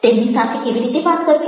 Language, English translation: Gujarati, how to how to talk to them